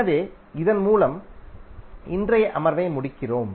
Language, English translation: Tamil, So with this we close todays session